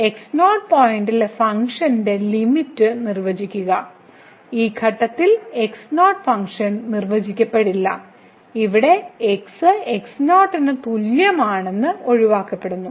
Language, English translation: Malayalam, So, define the limit of function at point naught, the function may not be defined at this point naught and therefore, here that is equal to naught is excluded